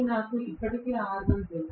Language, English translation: Telugu, I know already r1